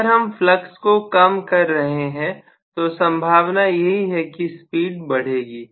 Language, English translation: Hindi, So, if the flux is minimized, I am going to have in all probability the speed increasing